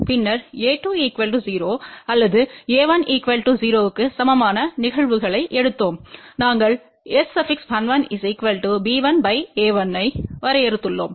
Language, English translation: Tamil, And then we took the cases where a 2 is equal to 0 or a 1 is equal to 0 and we had defined S 11 as b 1 by a 1